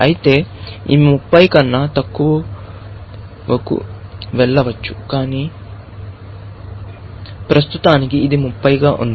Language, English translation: Telugu, Of course, it could go lower than 30, but at the moment it is 30